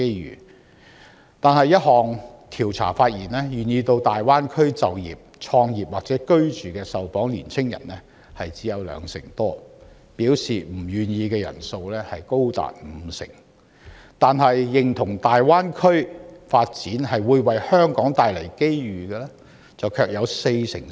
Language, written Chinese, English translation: Cantonese, 然而，一項調查發現，願意到大灣區就業、創業或居住的受訪青年人只有兩成多，表示不願意的人數高達五成，但認同大灣區發展會為香港帶來機遇的受訪者卻有四成四。, Nevertheless a survey has shown that only some 20 % of young respondents are willing to work start business or reside in the Greater Bay Area; as many as 50 % of respondents have expressed their unwillingness even though 44 % of respondents agree that the development of the Greater Bay Area will bring opportunities to Hong Kong